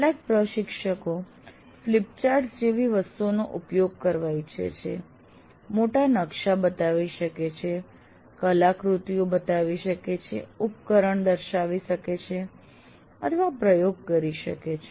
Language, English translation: Gujarati, And some instructors may wish to use big things like flip chart, show large maps, show artifacts, demonstrate a device, or conduct an experiment